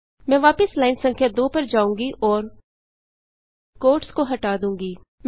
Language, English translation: Hindi, I will go back to line number 2 and replace the quotes